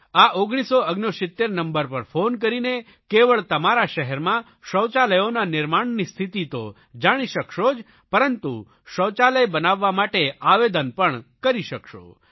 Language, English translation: Gujarati, By dialing this number 1969 you will be able to know the progress of construction of toilets in your city and will also be able to submit an application for construction of a toilet